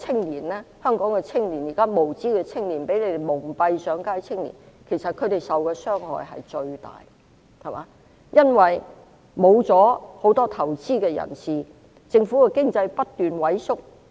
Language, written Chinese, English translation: Cantonese, 現在香港一些無知青年被反對派蒙騙上街，其實他們受的傷害最大，因為很多投資者撤離，令經濟不斷萎縮。, At present some ignorant young people in Hong Kong have been deceived onto the streets by the opposition camp . In fact they will suffer the most because many investors are withdrawing their investments and the economy continues to shrink